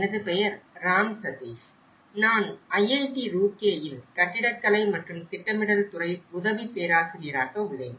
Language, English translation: Tamil, My name is Ram Sateesh; I am working as an assistant professor in Department of Architecture and Planning, IIT Roorkee